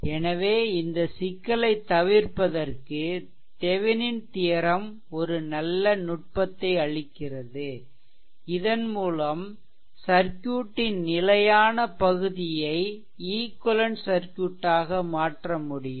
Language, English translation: Tamil, So, to a avoid this problem Thevenin’s theorem gives a good technique by which fixed part of the circuit can be replaced by an equivalent circuit right